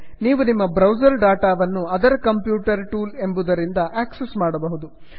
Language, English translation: Kannada, You can access your browser data from the other computer tools